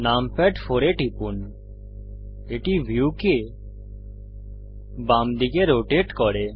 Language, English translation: Bengali, Press numpad 4 the view rotates to the left